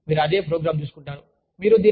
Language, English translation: Telugu, You know, you take the same program